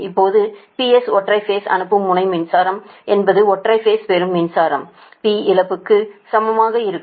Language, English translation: Tamil, similarly, p s per phase sending end power is equal to receive per phase receiving power plus p loss